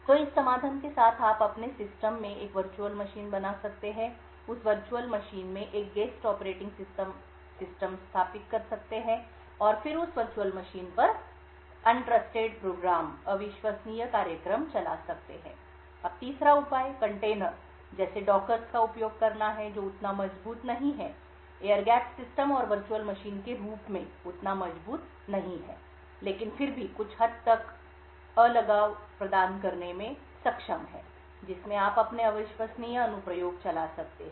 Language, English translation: Hindi, So with this solution you could create a virtual machine in your system, install a guest operating system in that virtual machine and then run the untrusted programs on that virtual machine, now a third solution is to use containers such as dockers which is not as strong as the air gapped systems and virtual machines but yet is able to provide some level of isolation in which you could run your untrusted applications